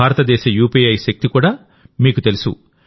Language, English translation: Telugu, You also know the power of India's UPI